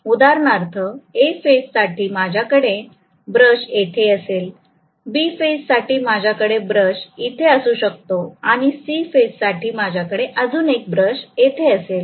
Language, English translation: Marathi, For example, for A phase I may have the brush here, for B phase I may have the brush here and for C phase I may have one more brush here